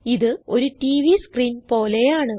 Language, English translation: Malayalam, It looks like a TV screen